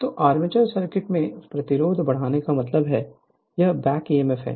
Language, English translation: Hindi, So, increase the resistance in the armature circuit means the, this is your back Emf